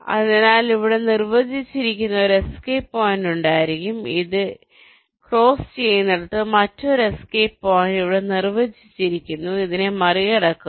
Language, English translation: Malayalam, so there will be one escape point defined here, where it is just crossing this, another escape point defined here, just crossing this